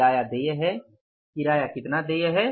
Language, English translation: Hindi, Rent payable is, how much is the rent payable